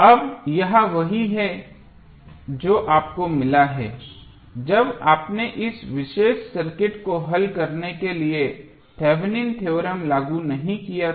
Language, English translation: Hindi, Now, this is what you got when you did not apply Thevenin theorem to solve this particular circuit